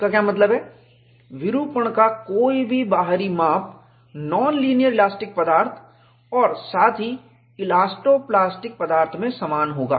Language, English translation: Hindi, What it means is, any external measure of deformation would be the same in non linear elastic material as well as elasto plastic material